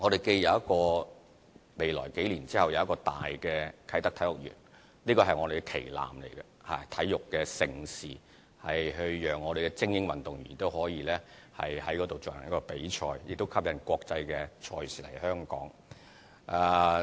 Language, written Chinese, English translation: Cantonese, 在未來數年，我們會有一個大的啟德體育園，這是我們的旗艦，可舉辦體育盛事，讓精英運動員可在那裏進行比賽，亦可吸引國際賽事來香港舉辦。, In a few years time we will have a spacious Kai Tak Sports Park which will be our flagship for holding mega sports events for participation of elite athletes and for attracting international sports events to be held in Hong Kong